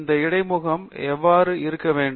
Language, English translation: Tamil, This is how the interface should look like